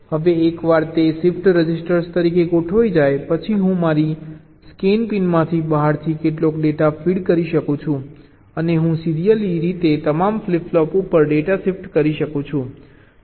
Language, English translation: Gujarati, now, once it is configured as the shift register, i can feed some data from outside from my scanin pin and i can serially shift the data to all the flip flops so i can initialize them very easily